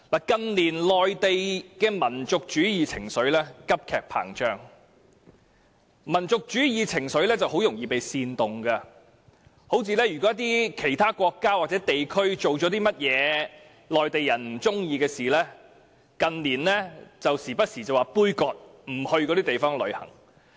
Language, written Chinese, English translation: Cantonese, 近年內地的民族主義情緒高漲，民族主義情緒很容易被煽動，如果某國家或地區做了一些內地人不喜歡的事，他們動不動便說杯葛，不到那些地方旅遊。, In recent years the national sentiment in the Mainland has remained high and such sentiment can easily be instigated . For example if certain countries or regions have done something that displeased some Mainlanders they are apt to launch boycotts by refusing to travel to those places